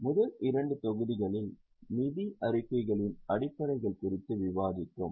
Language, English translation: Tamil, In the first two modules we have discussed the basics of financial statements